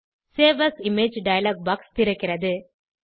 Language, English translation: Tamil, Save As Image dialog box opens